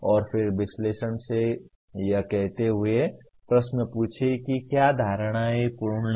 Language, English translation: Hindi, And then ask questions from analysis saying that are the assumptions complete